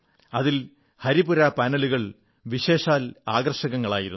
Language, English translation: Malayalam, Of special interest were the Haripura Panels